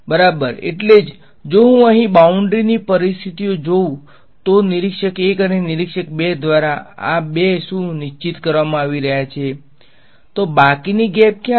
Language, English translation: Gujarati, Exactly so, if I look at the boundary conditions over here, what is these two are being fixed by observer 1 and observer 2